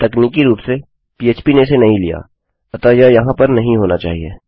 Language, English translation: Hindi, Now technically, php hasnt picked this up, so this shouldnt be here